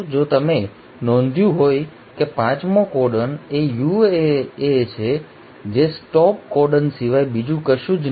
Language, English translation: Gujarati, If you notice the fifth codon is a UAA which is nothing but the stop codon